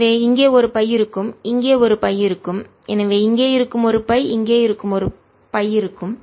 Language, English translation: Tamil, there will be a pi here, and therefore there'll be a pi here, there will be a pi here